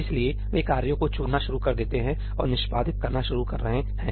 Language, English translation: Hindi, So, they are going to start picking up the tasks and start executing